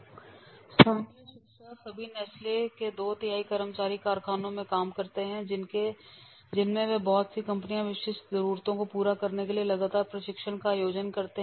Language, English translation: Hindi, The two thirds of all Nestle employees work in factories and most of which organize continuous training to meet their specific needs